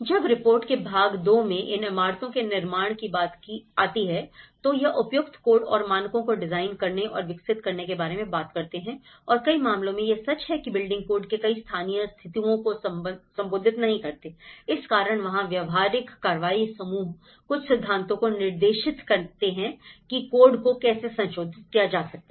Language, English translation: Hindi, When it come to the buildings and construction the part 2 of the report, it talks about the designing and developing appropriate codes and standards and many at cases, it’s very much true that many of the building codes which will not reflect to the local situations, that is where practical action group offer some principles to guide how codes could be revised